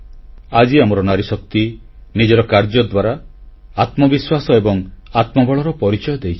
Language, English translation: Odia, Today our woman power has shown inner fortitude and selfconfidence, has made herself selfreliant